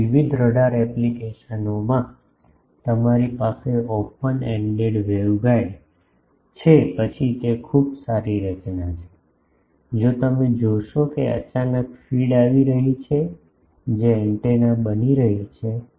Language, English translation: Gujarati, So, in various radar applications you have open ended waveguide then it is a very good structure, if the you see feed is coming suddenly that is becoming an antenna